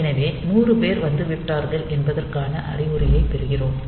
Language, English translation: Tamil, So, we get an indication that 100 people have arrived